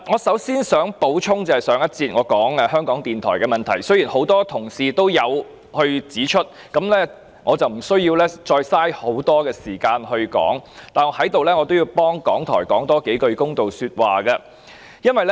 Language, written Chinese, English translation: Cantonese, 首先，我想補充我在上一節談及香港電台的問題，雖然有多位同事已指出問題，我無須再花很多時間闡述，但我也要為港台多說一些公道話。, First I would like to add a few comments about the issue concerning Radio Television Hong Kong RTHK which I mentioned in the previous round . As a number of Honourable colleagues have pointed out the problems concerned I need not spend time elucidating the case . Yet I have to pass some fair comments about RTHK